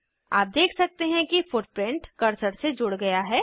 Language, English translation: Hindi, You can see that footprint is tied to cursor